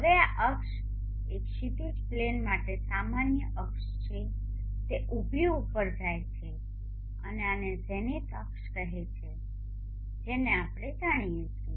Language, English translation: Gujarati, Now this axis is the normal axis normal to the horizon plane it goes vertically up and this is called the zenith axis Z this also we know